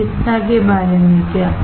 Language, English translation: Hindi, What about medical